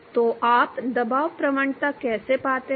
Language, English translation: Hindi, How do you find the pressure gradient